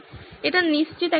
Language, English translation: Bengali, That is one thing for sure